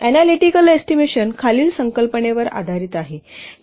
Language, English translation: Marathi, Analytical estimation is based on the following concept